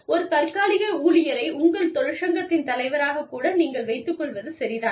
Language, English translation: Tamil, It may be okay for you, to have a temporary worker, as the president of the union